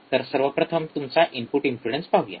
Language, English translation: Marathi, So, this is about the output impedance